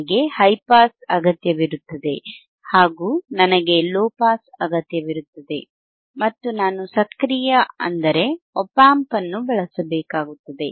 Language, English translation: Kannada, I will need a high pass, I will need a low pass, and I have to use an active, means, an op amp